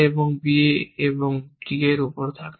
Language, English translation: Bengali, On a b is also true